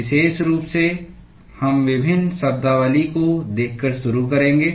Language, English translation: Hindi, In particular, we will start by looking at various terminologies